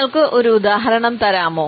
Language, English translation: Malayalam, Can you give me one example